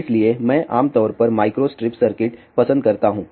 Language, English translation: Hindi, So, I prefer generally micro strip circuit